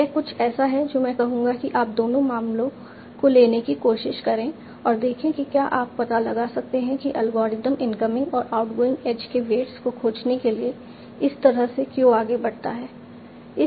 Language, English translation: Hindi, This is something I will say that you try to take both the cases and see whether you are finding why the algorithm proceeds in this way of for finding the incoming and outgoing age rates